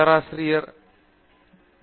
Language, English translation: Tamil, Thank you Prof